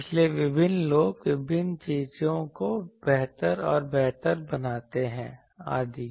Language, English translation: Hindi, , this various people make various thing in better and better etc